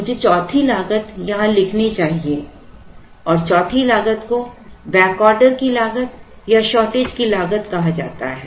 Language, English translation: Hindi, Let me write the fourth cost here and the fourth cost is called cost of back order or cost of shortage